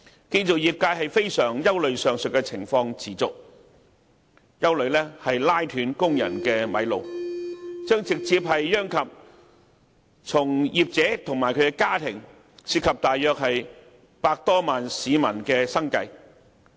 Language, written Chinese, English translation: Cantonese, 建造業界非常憂慮若上述情況持續，會"拉"斷工人的"米路"，直接殃及從業者及其家庭，涉及約100多萬名市民的生計。, The construction sector is very worried that if the situation continues construction workers will be out of work directly affecting the livelihood of over 1 million people including practitioners and their families